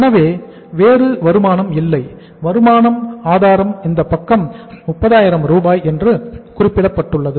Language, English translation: Tamil, So there is no other income, source of income it means this side is 30,000 closed